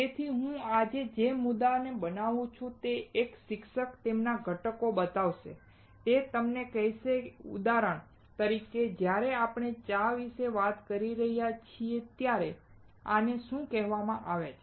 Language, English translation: Gujarati, So, the point that I am making today is a teacher will show you the ingredients, he will tell you, like for example, when we are talking about tea, what is this called